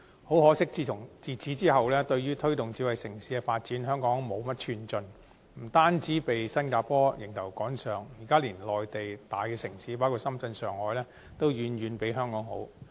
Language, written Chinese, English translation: Cantonese, 很可惜，自此之後，對於推動智慧城市的發展，香港無甚寸進，不單被新加坡迎頭趕上，現時連內地大城市包括深圳、上海等都遠遠拋離香港。, Regrettably Hong Kongs advance in smart city development has since stalled not just being overtaken by Singapore but now lagging far behind such major Mainland municipalities as Shenzhen and Shanghai